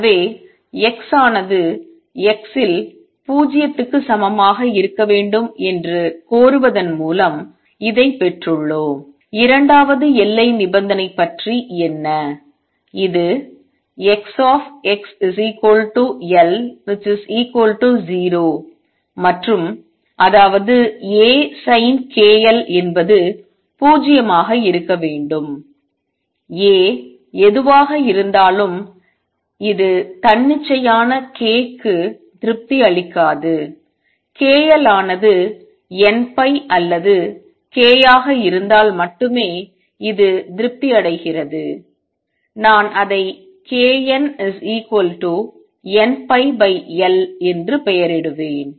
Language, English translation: Tamil, So, we have just got on this by demanding that X at x equal to 0 is 0 what about the second boundary condition which says that capital X x at x equals capital L 0 and; that means, A sin k L must be 0 no matter what A is this will not be satisfied for arbitrary k this is satisfied only if k L is n pi or k; I will label it as n k n is n pi by L